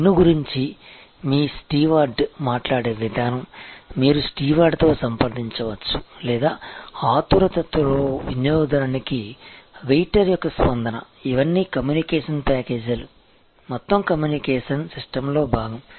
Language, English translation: Telugu, The way your steward talk about the menu, the consultation that you can have with steward or the way the waiter response to customer in a hurry, all of these are communication packages, a part of the whole communication system